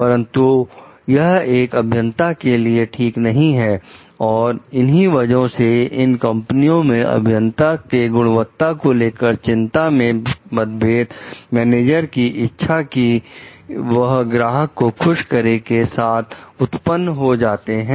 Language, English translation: Hindi, But it is not ok for the engineers and that is where so in these companies the engineers quality concerns conflicted with the managers desire to please the customer